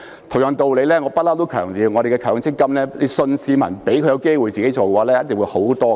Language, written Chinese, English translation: Cantonese, 同樣道理，我一向強調，我們在強積金方面只要相信市民，給他們一個機會自己處理，一定會好得多。, By the same token I have always stressed that members of the public will surely do a better job of handling MPF as long as we entrust them with the opportunity